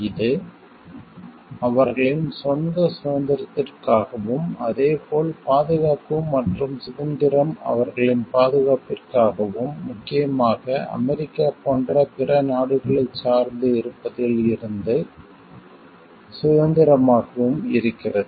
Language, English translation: Tamil, This is for the sake of their own freedom, as well as security and freedom from like the this is for their security as well as freedom from dependence from other countries like USA mainly